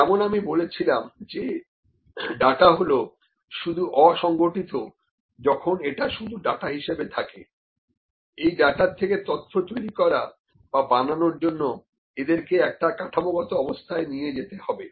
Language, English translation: Bengali, As I said, the data is just unstructured when it is just data, to bring make or to make this data information, it has to be put in a structured form